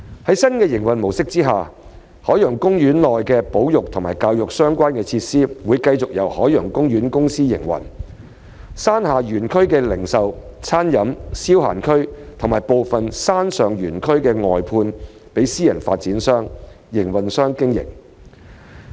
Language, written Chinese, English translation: Cantonese, 在新營運模式下，海洋公園內與保育和教育相關的設施會繼續由海洋公園公司營運，山下園區的零售/餐飲/消閒區及部分山上園區會外判予私人發展商/營運商經營。, Under the new mode of operation OPC will continue to operate the conservation and education related facilities in OP whereas the operation of the Retail Dining and Entertainment RDE zone in the lower park and parts of its upper park will be outsourced to private developers or operators